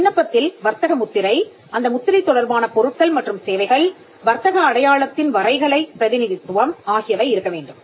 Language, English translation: Tamil, The application should have the trademark, the goods and services relating to the trademark, the graphical representation of the trade mark